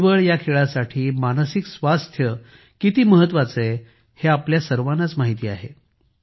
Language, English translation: Marathi, We all know how important mental fitness is for our game of 'Chess'